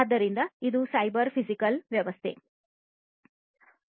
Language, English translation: Kannada, So, what is cyber physical system